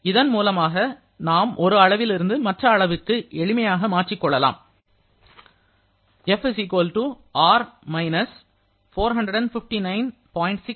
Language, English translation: Tamil, So now, using this we can easily convert from one scale to another and here we can write as F = R – 459